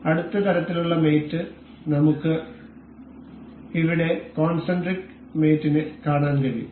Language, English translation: Malayalam, The next kind of mate we can see here is concentric mate